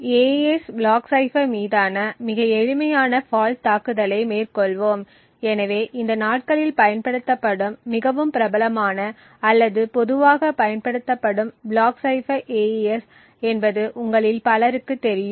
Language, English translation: Tamil, Let us take a very simple fault attack on the AES block cipher, so as many of you would know the AES is probably the most famous or more commonly used block cipher used these days